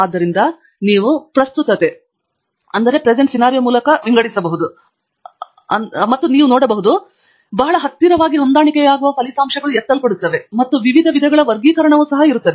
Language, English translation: Kannada, So you can see that you can sort by relevance, which means that those results that are very closely matching will be picked up and there are various other types of sorting also